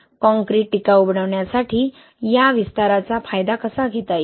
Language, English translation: Marathi, How can be leverage this expansion in making concrete durable